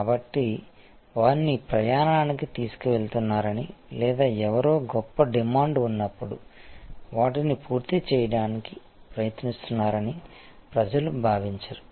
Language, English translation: Telugu, So, that people do not feel that you are taking them for a ride or trying to finishing them when somebody’s in great demand